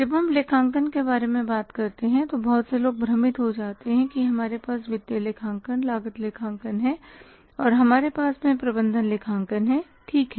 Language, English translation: Hindi, When we talk about accounting, many people get confused about that if we have financial accounting, we have cost accounting and we have management accounting